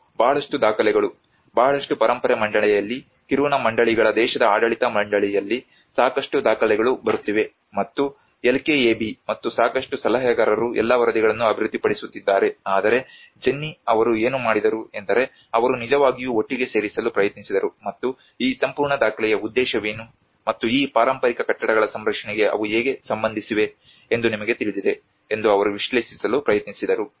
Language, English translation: Kannada, And a lot of documents a lot of heritage board there is lot of documents coming in Kiruna councils country administrative board, and LKAB and a lot of consultants which are developing all the reports but then Jennie what she did was she tried to really put together and she tried to analyse you know what is the purpose of this whole document and how are they related to the conservation of these heritage buildings